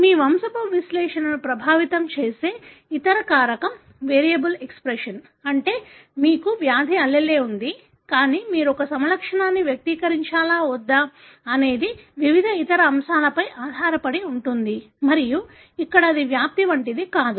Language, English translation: Telugu, The other factor that influence your pedigree analysis is variable expression, meaning you have a disease allele, but whether or not you would express a phenotype depends on various other factors and here it is not like penetrance